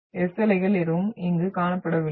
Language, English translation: Tamil, So no S waves are been seen here